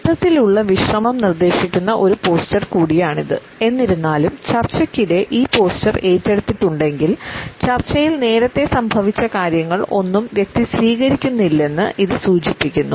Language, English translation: Malayalam, It is also a posture which suggest a total relaxation; however, during discussions if this posture has been taken up, it suggests that the person is not accepting something which is happened earlier